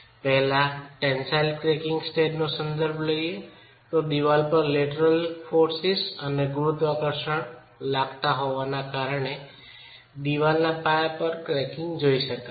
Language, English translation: Gujarati, I would first refer to the tensile cracking state so as the wall is being subjected to lateral forces and gravity you can have cracking at the base of the wall